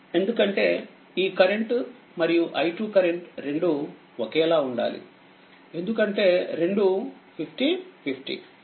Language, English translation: Telugu, Because both current this current and i 2 current both have to be same because both are 50 50 because 20 plus 30 50 ohm; that means, 2 i 2 is equal to your i 1